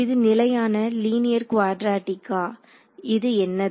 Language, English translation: Tamil, Is it constant linear quadratic what is it